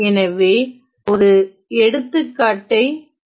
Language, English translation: Tamil, So, let us look at an example